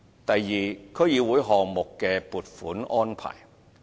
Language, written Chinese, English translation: Cantonese, 第二，區議會項目的撥款安排。, Second the funding arrangements for DC projects